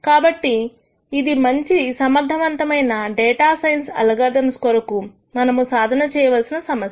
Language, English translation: Telugu, So, this is one problem that needs to be solved really to have good efficient data science algorithms